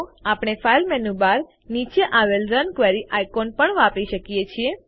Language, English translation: Gujarati, We can also use the Run Query icon below the file menu bar